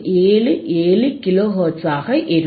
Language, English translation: Tamil, 477 kilo hertz